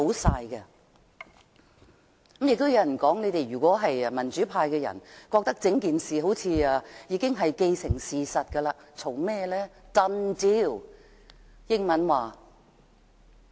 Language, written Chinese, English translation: Cantonese, 亦有人說，如果民主派覺得整件事好像已經既成事實，為甚麼還要多說？, There is also a saying if the democrats think that the whole thing seems to be a done deal why do they still make comments?